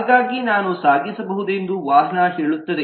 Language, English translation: Kannada, so vehicle says that i can transport